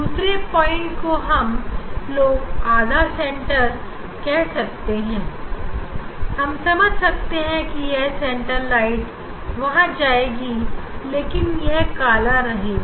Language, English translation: Hindi, other points we tell the half center here I understand this at the center light should be there, but it s a dark by dark by